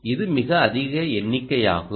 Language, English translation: Tamil, so it's quite a high number